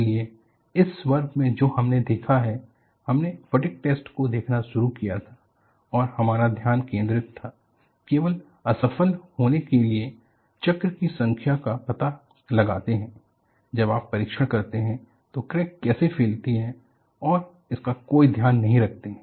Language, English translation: Hindi, So, in this class what we have looked at was, we started looking at the fatigue test and the focus was, you only find out the number of cycles for the specimen to fail; you do not take any note of how the crack propagates while you perform the test